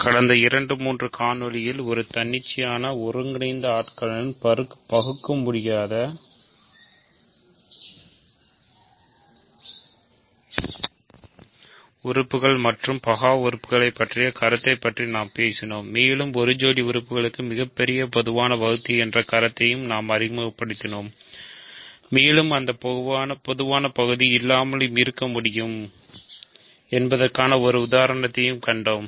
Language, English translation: Tamil, In the last two, three videos, we talked about the notion of irreducible elements and prime elements in an arbitrary integral domain and we also introduced the notion of greatest common divisor for a pair of elements and we saw an example where they greatest common divisor may not exist